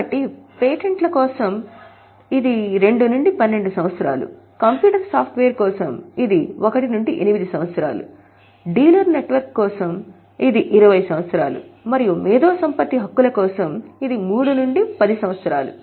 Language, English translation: Telugu, So, for patents it is 2 to 12 years, for computer software it is 1 to 8 years, then for dealer network it is 20 years and for intellectual property rights it is 3 to 10 years